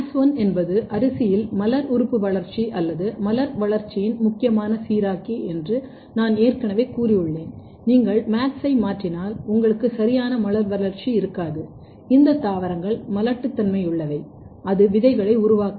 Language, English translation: Tamil, So, if you remember my previous class, I have already told that MADS1 is a very important regulator of floral organ development or flower development in rice and if you mutate MADS1 basically, you will not have a proper flower development and these plants are sterile, it will not make seeds